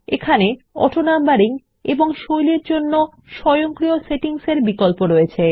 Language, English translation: Bengali, You have a choice of automatic settings for AutoNumbering and Styles